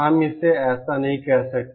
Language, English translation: Hindi, We can not say it like that